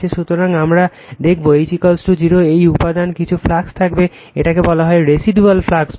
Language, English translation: Bengali, So, you will find when H is equal to 0, some flux will be there in the material, this is actually call residual flux right